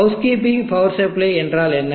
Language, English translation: Tamil, What is housekeeping power supply